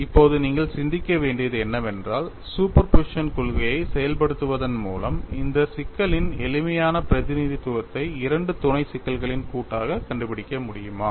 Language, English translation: Tamil, Now, what you will have to think is by invoking principle of superposition, can you find out a simpler representation of this problem as some of two sub problems